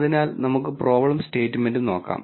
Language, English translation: Malayalam, So, let us look at the problem statement